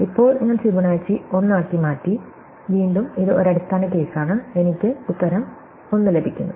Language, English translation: Malayalam, Now, I have turn into Fibonacci 1, again it is a base case, I get the answer 1